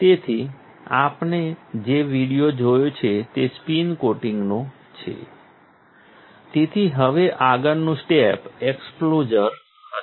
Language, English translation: Gujarati, So, now, we since you have seen the video which is of spin coating, the next step would be exposure